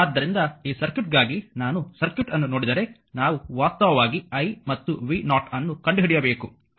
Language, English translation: Kannada, So, ah for this circuit, if you look into the circuit we have to find out actually i and i and your ah v 0, right